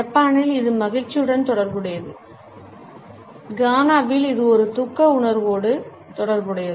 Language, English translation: Tamil, In Japan it is associated with happiness; in Ghana on the other hand it is associated with a sense of sorrow